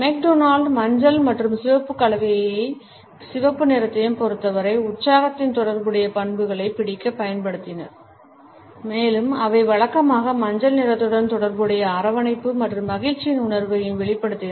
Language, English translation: Tamil, McDonald has used yellow and red combination to capture the associated traits of excitement as far as red is concerned, and they conveyed feelings of warmth and happiness which are conventionally associated with yellow